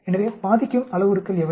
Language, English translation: Tamil, So, what are the parameters that affect